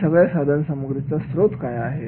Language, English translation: Marathi, Where is the source of materials